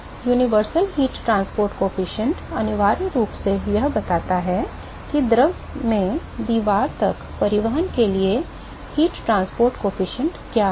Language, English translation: Hindi, So, universal heat transport coefficient essentially it accounts for what is the heat transport coefficient for transport from the fluid to the wall